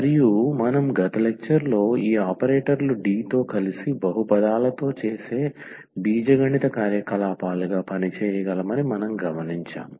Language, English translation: Telugu, And we have also observed in the last lecture that we can work with these operators D as the algebraic operations we do with the polynomials